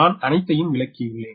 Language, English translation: Tamil, i have explained everything